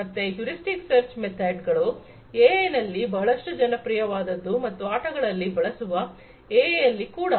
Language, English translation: Kannada, So, heuristic search methods are quite popular in AI and AI for games